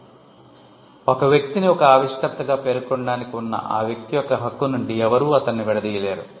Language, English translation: Telugu, So, nobody can disentitle a person from a person’s right to be mentioned as an inventor